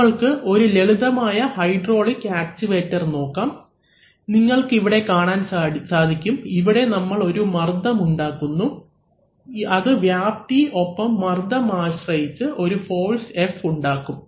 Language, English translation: Malayalam, So, let us look at a simple hydraulic actuator, so you see that we are creating a pressure here, so that creates a force F depending on the area and the pressure, so F is equal to P into A